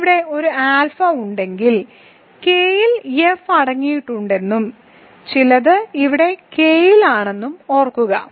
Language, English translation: Malayalam, So, remember K contains F if you have some alpha here and some a here a is also in K